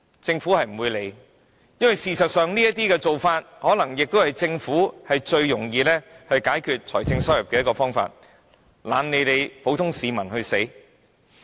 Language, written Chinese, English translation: Cantonese, 政府不會理會這些情況，因為事實上，這可能是政府最易收取財政收入的方法，懶理普通市民的死活。, As it is actually easiest to earn financial revenues this way the Government has chosen to turn a blind eye to these cases and ignore the suffering of common people